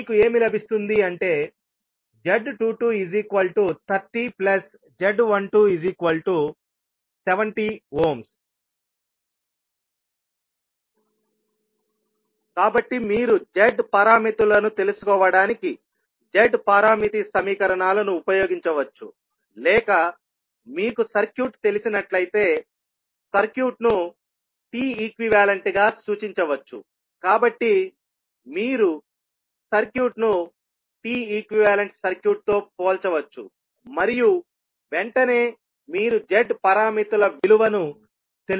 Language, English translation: Telugu, So, you can use either the Z parameter equations to find out the Z parameters, or you, if you know that the circuit is, a circuit can be represented as a T equivalent, so you can compare the circuit with T equivalent circuit and straight away you can find out the value of Z parameters